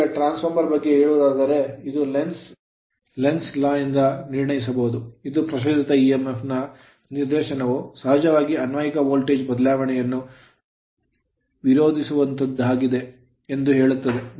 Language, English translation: Kannada, Now as per the your what you call for your transformer we have seen that this can be deduced by Lenz’s law which states that the direction of an induced emf is such as to oppose the change causing it which is of course, the applied voltage right